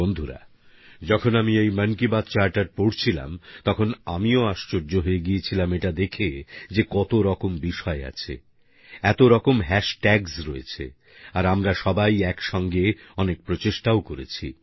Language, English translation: Bengali, Friends, when I was glancing through this 'Mann Ki Baat Charter', I was taken aback at the magnitude of its contents… a multitude of hash tags